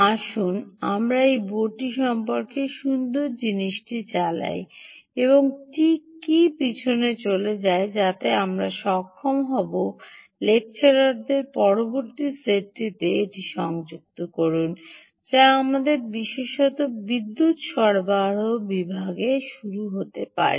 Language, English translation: Bengali, let us run through the nice thing about this board and what exactly goes behind, so that we will be able to connect it to the next set of lecturers ah, which we may have to begin, ah, ah, specifically on the power supply section